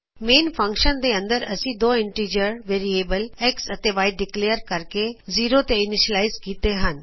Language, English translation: Punjabi, Inside the main function we have declared two integer variables x and y and initialized to 0